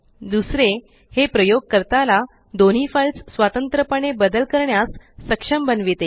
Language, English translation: Marathi, Second, it enables the user to modify both the files separately